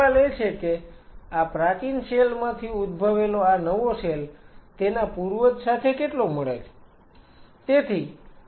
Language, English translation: Gujarati, Now the question is how much closely this new cell which arose from the pre existing cell is similar to its parent